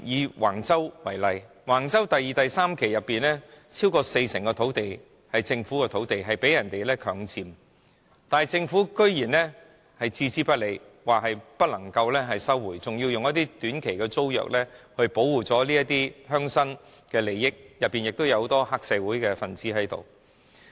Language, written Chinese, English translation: Cantonese, 以橫洲為例，橫洲第二、三期發展所涉及的土地中，超過四成是屬於政府土地，並且被人強佔，但政府居然置之不理，表示不能收回，更以短期租約形式租出，以保護這些鄉紳的利益，所涉及的人當中，有很多是黑社會分子。, In the case of Wang Chau development project over 40 % of the land covered in phases 2 and 3 is Government land but the land has been forcibly occupied by some people . Yet the Government has turned a blind eye and said that the land cannot be resumed . It even leases out the land under a short - term tenancy to protect the interests of rural leaders